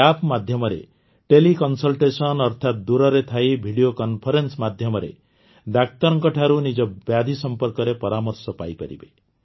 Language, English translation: Odia, Through this App Teleconsultation, that is, while sitting far away, through video conference, you can consult a doctor about your illness